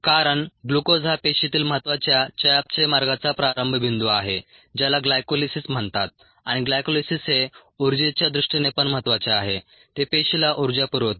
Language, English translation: Marathi, because glucose is a starting point of an important metabolic pathway in the cell called glycolysis, and glycolysis has importance from ah, the energy aspects to